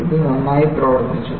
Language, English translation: Malayalam, And it has worked well